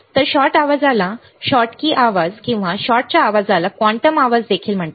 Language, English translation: Marathi, So, shot noise is also called Schottky noise or shot form of noise is also called quantum noise